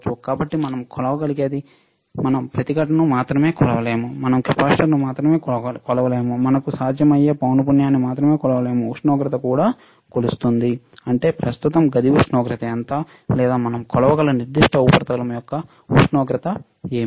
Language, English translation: Telugu, So, what we can measure, we cannot only measure the resistance, we cannot only measure the capacitance, we cannot only measure the frequency we can also measure the temperature; that means, what is the room temperature right now, or what is the temperature of particular surface that we can measure